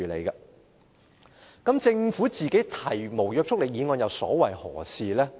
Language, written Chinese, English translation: Cantonese, 但是，政府提出無約束力議案又所為何事呢？, But why has the Government still moved this motion with no legislative effect?